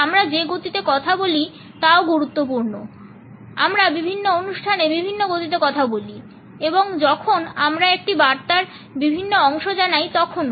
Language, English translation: Bengali, The speed at which we speak is also important we speak at different speeds on different occasions and also while we convey different parts of a message